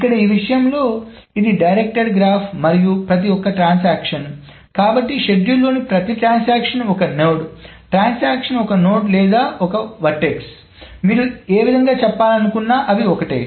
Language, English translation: Telugu, So here in this thing, so this is a directed graph, and each transaction, so every transaction is a, so every transaction in the schedule is a node, transaction is a node or vertex, whatever way you want to say it, it's the same thing